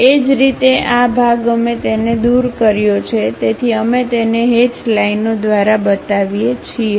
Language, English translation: Gujarati, Similarly this part we have removed it; so, we show it by hatched lines